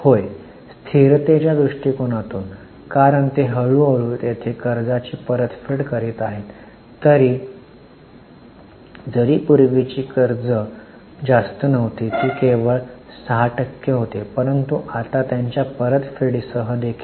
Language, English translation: Marathi, Yes, from a stability viewpoint because they are slowly repaying their debt anyway even earlier the dates were not very high, they were only 6% but now even with you are repaid